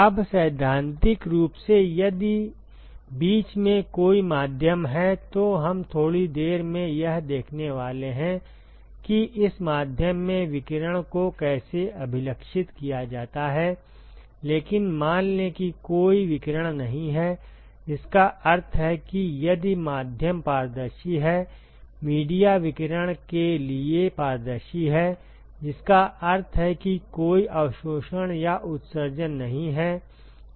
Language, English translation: Hindi, Now, in principle if there is a there is a medium in between, we are going to see in a short while, how to characterize radiation in this medium, but let us assume that there is no radiation, which means that if the medium is transparent; the media is transparent to radiation, which means there is no absorption or emission